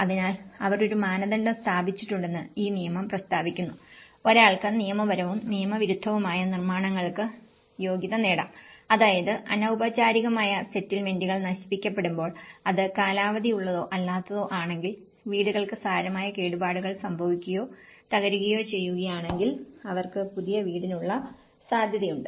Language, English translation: Malayalam, So, this law states that they have established a criteria, one is being a homeowner both legal and illegal constructions can qualify, let’s say when informal settlements have been destroyed then obviously if it is a tenured or a non tenured so, they were still be eligible for it